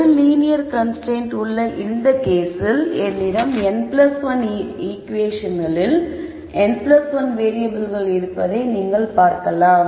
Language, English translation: Tamil, Now, you notice that in this case with one linear constraint I have n plus 1 equation in n plus 1 variables